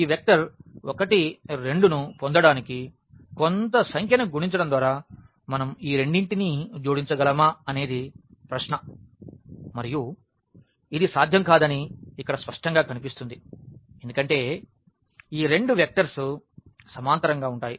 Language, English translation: Telugu, The question is can we add these two by multiplying some number to get this vector 1 and 2 and which is clearly visible here that this is not possible because, these two vectors are parallel